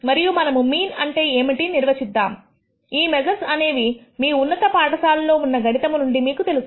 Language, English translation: Telugu, And let us define what is called the mean, these are measures that you are familiar with from your high school courses in mathematics